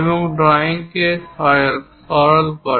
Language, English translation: Bengali, It simplifies the drawing